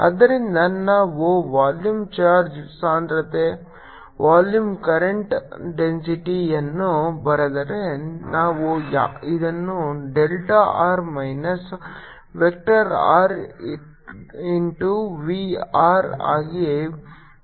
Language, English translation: Kannada, so if we write the volume charge density, volume, current density will like this as delta r minus delta into v r